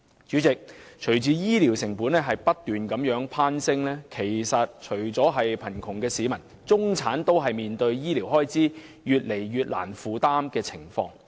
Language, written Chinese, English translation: Cantonese, 主席，隨着醫療成本不斷攀升，除了貧窮的市民外，中產也越來越難以負擔沈重的醫療開支。, President as the costs of health care keep surging not only the poor but also the middle class find the heavy medical expenses increasingly unaffordable